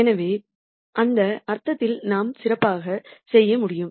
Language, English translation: Tamil, So, in that sense we could do better